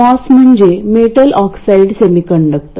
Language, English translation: Marathi, The moss stands for metal oxide semiconductor